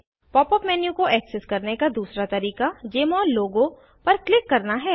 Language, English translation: Hindi, The second way to access the Pop up menu is to click on the Jmol logo